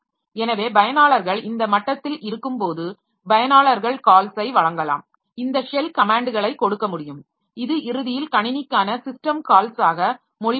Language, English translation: Tamil, So, users when they are at when they are sitting at this level, so users can either give calls for, can make this shell comments, give the shell comments which will ultimately translate to system call for the system